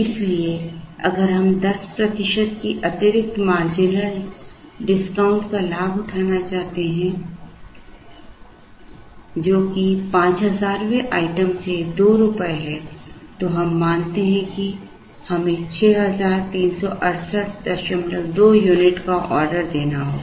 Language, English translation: Hindi, So, if we wish to avail the additional marginal discount of 10 percent, which is 2 rupees from the 5000th item then we observe that we have to order 6368